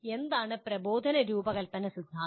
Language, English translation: Malayalam, And what is instructional design theory